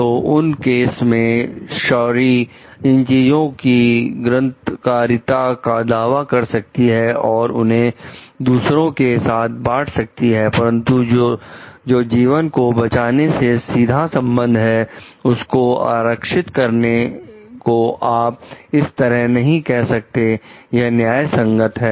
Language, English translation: Hindi, So, in those cases sherry as she could claim the authorship of these things and share it with others, but reserving something which is directly connected to the life saving of the person is not something which you can tell like, this is justified